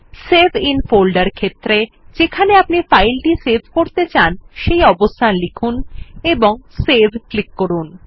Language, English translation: Bengali, In the Save in folder field, choose the location where you want to save the file and click on Save